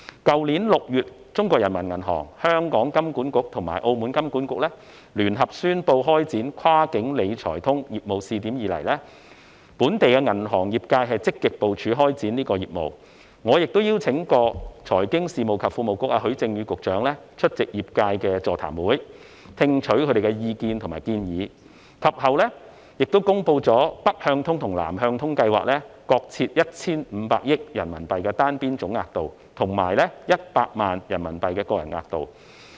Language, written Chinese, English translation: Cantonese, 去年6月，中國人民銀行、香港金融管理局及澳門金融管理局聯合宣布開展"跨境理財通"業務試點以來，本地銀行業界積極部署開展這項業務，我亦邀請過財經事務及庫務局局長許正宇出席業界的座談會，聽取業界人士的意見及建議，及後，當局公布了"北向通"及"南向通"計劃各設 1,500 億元人民幣的單邊總額度，以及100萬元人民幣的個人額度。, Last June the Peoples Bank of China PBoC the Hong Kong Monetary Authority HKMA and the Monetary Authority of Macao jointly announced the launch of the cross - boundary wealth management connect pilot scheme . Since then the local banking industry has actively made preparations to launch this business and I have also invited the Secretary for Financial Services and the Treasury Christopher HUI to attend seminars held by the industry to listen to the views and suggestions of members of the industry . Later the authorities announced that the Northbound and Southbound Wealth Management Connect are respectively subject to a unilateral aggregate quota of RMB150 billion and a quota of RMB1 million for individuals